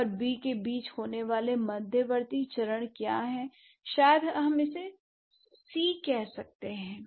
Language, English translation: Hindi, So, what are the intermediate stages that occur between A and B